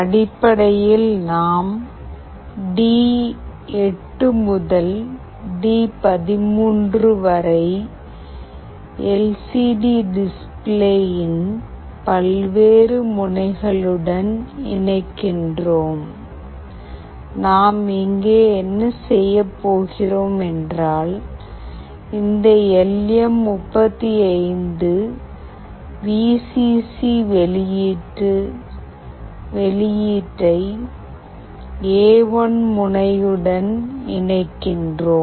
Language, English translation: Tamil, We are basically connecting from D8 to D13 to various pins of the LCD display, what we are going here to do is that, we are connecting this LM35 VCC output to pin A1